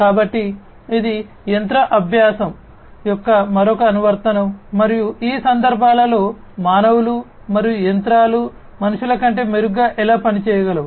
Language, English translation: Telugu, So, this is also another application of machine learning and how humans and machines can perform better than humans, in these contexts